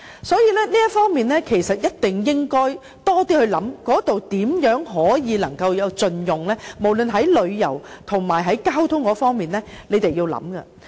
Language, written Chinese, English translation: Cantonese, 所以，這方面一定要多想想如何盡用該地方，無論在旅遊或交通方面，政府也要思考一下。, Therefore in this respect the Government must contemplate how to better utilize the location both in terms of tourism and transport